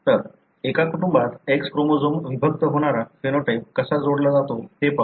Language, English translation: Marathi, So, let’s look into how a phenotype linked to X chromosome segregates in a family